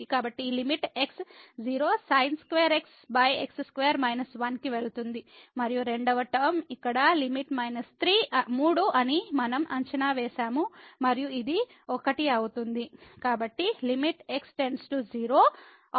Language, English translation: Telugu, So, this limit x goes to 0 sin x square over square is 1 and the limit here for the second term which we have evaluated which was minus 3 and this one becomes 1